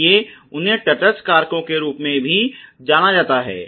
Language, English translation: Hindi, So, they are known as neutral factors